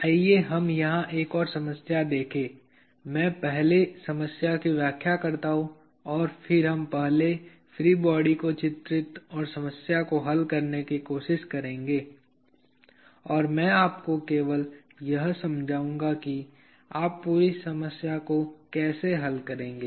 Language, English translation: Hindi, let me just explain the problem first and then we will first draw the free body and seek to solve the problem and I will just explain to you how you will go about solving the entire problem